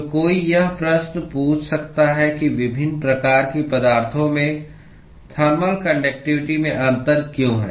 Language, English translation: Hindi, So, one may ask a question as to why there is difference in the thermal conductivities across different types of the materials